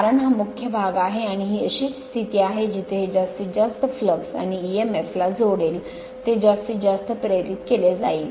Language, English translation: Marathi, Because this is the main portion and this is the position right this is the position that where the maximum that these will link the maximum flux and emf will be induced maximum right